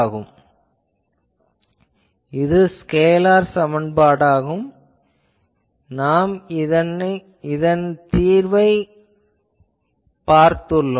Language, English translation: Tamil, So, this equation is a scalar equation and we saw that what is it solution